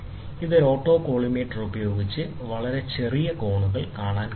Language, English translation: Malayalam, So, autocollimator is an optical instrument that is used to measure small angles to very high precision